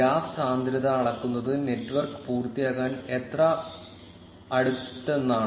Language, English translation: Malayalam, The graph density measures how close the network is to complete